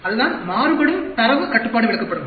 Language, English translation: Tamil, That is, variable data control charts